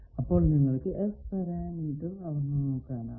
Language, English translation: Malayalam, So, you can measure S parameter